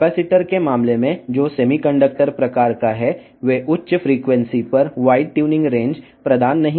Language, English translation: Telugu, In case of capacitors, that is of semiconductor type, they do not provide the white tuning range at higher frequencies